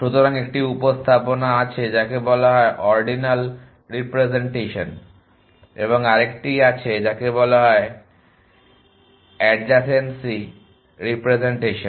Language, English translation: Bengali, So, there is one representation which is called ordinal representation and another 1 which is called adjacency representation